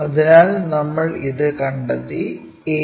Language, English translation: Malayalam, So, we have located this a also